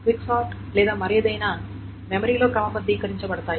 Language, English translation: Telugu, Let us say the quick sort or what are sorted in memory